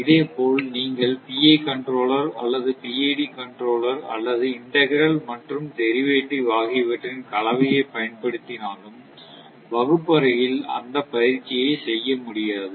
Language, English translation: Tamil, Similarly for, if you if you use PI controller or PID controller or a combination of your I integral and derivative action for that also, it is not possible to do that exercise in the classroom